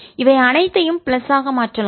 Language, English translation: Tamil, all this can be made to be plus